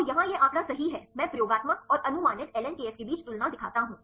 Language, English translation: Hindi, So, here is with this figure right I show the comparison between experimental and the predicted ln kf